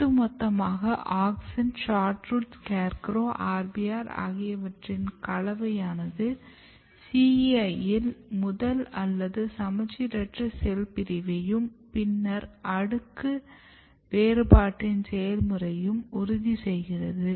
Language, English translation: Tamil, But overall what happens the combination of auxin SHORTROOT SCARECROW RBR basically ensures the first or the asymmetric cell division in CEI and then eventual process of layer differentiation